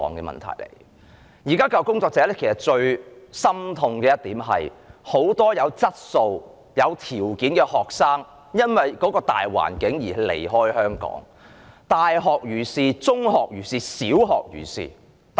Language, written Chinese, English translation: Cantonese, 現時教育工作者最心痛的一點是，很多有質素、有條件的學生，因為大環境而離開香港；大學如是、中學如是，小學亦如是。, At present the educators find it most heart - breaking that many quality students who have high potential are leaving Hong Kong because of the general circumstances . That is the case for universities secondary schools and even primary schools